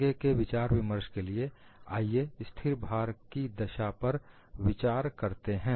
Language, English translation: Hindi, For further discussion, let us consider the constant load case